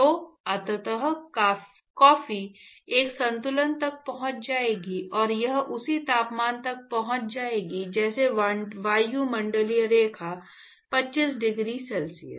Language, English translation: Hindi, So, eventually the coffee will actually reach an equilibrium and it will reach the same temperature as the atmosphere line 25 degree c